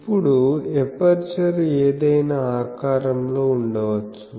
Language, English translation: Telugu, Now, aperture may be of any shape